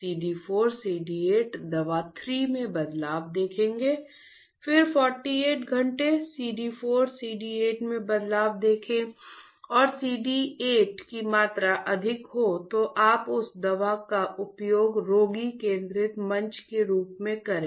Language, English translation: Hindi, See the change in CD 4 CD 8 drug 3, again 48 hours see the change in CD 4 CD 8 and the one with the CD 8 is higher you use that drug as a patient centric platform